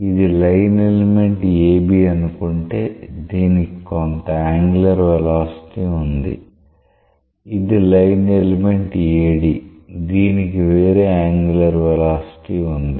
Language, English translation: Telugu, So, the line elements say AB it has some angular velocity, the line element AD; it has a different angular velocity